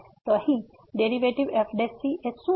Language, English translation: Gujarati, Now, what is the derivative